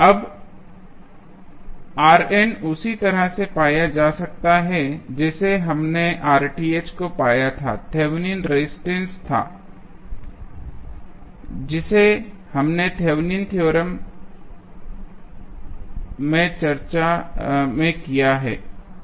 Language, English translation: Hindi, Now, R n can be found in the same way we found RTH that was the Thevenin's resistance, which we did in the Thevenin's theorem discussion